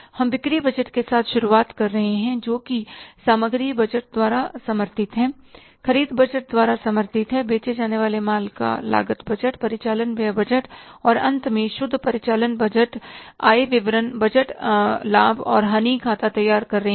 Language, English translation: Hindi, We are starting with the sales budget which is supported by the inventory budget, supported by the purchase budget, cost of goods sold budget, operating expenses budget and finally the net result is preparing the budgeted income statement, budgeted profit and loss account